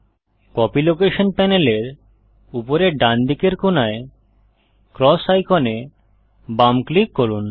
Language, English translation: Bengali, Left click the cross icon at the top right corner of the Copy location panel